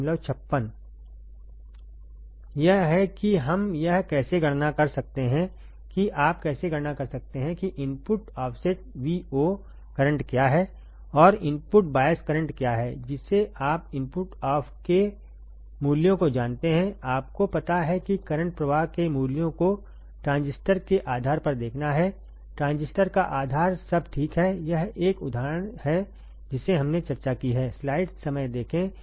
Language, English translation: Hindi, This is how we can calculate this is how you can calculate what is the input offset Vo current and what is the input bias current given that you know the values of input off, you know the values of current flowing to the base of the transistor to the base of the transistors, all right, this is one example what we have discussed